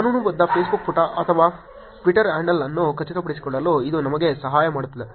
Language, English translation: Kannada, This just helps us to confirm that the legitimate Facebook page or Twitter handle